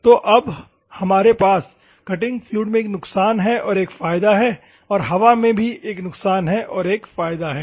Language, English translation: Hindi, So, now, we have one advantage, one disadvantage in the cutting fluid; one advantage, one disadvantage in the air